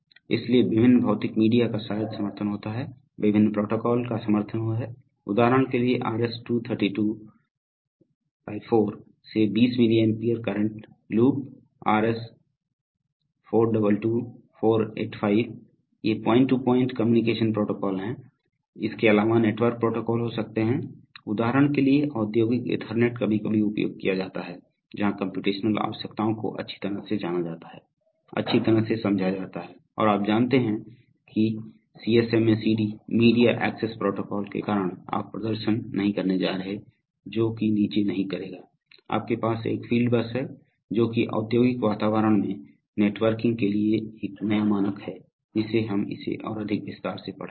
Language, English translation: Hindi, So different physical media maybe supported, are supported, various protocols are supported, for example RS 232 / 4 to 20 milli ampere current loop, RS 422 / 485, these are, these are point to point communication protocols, apart from that there could be network protocols, for example industrial Ethernet are sometimes used, where the computational requirements are well known, well understood and you know that due to, that is CSMA/CD media access protocol you are not going to get performances is not going to degrade, you have a fieldbus that’s a, that’s a new standard for networking in the industrial environment which we shall be studying it much more detail